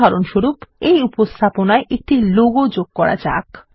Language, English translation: Bengali, For example, you can add a logo to your presentation